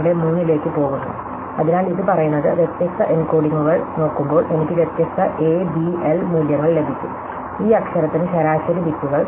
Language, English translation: Malayalam, 23, so what this say is that looking at different encodings I could get different A B L values, this average bits per letter